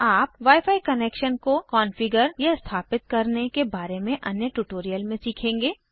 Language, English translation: Hindi, You will learn about configuring wi fi connections in another tutorial